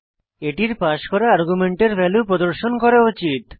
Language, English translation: Bengali, It should display the value of the argument passed